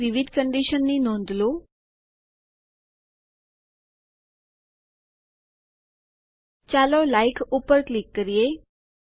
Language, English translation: Gujarati, Notice the various conditions here Let us click on Like